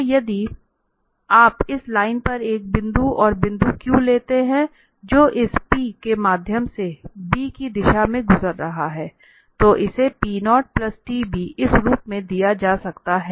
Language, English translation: Hindi, So if you take another point q here on this line, which is passing through this p in the direction of b, then this can be given as p naught plus this t times b